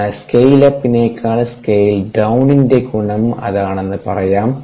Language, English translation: Malayalam, so that is the advantage of scale up, scale down